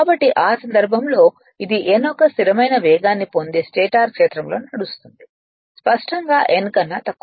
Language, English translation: Telugu, So, in this case it runs in the direc[tion] stator field that acquires a steady speed of n; obviously, n less than ns